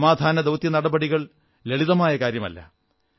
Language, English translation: Malayalam, Peacekeeping operation is not an easy task